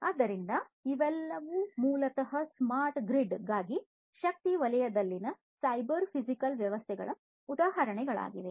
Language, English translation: Kannada, So, all of these are basically examples of cyber physical systems in the energy sector for smart grid